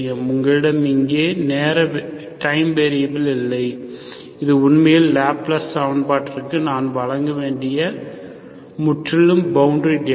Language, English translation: Tamil, So you do not have time variable here, this is actually a purely boundary data I have to provide for this Laplace equation